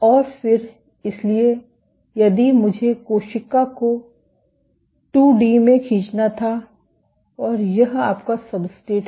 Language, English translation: Hindi, And then, so if I were to draw the cell in 2 D and this is your substrate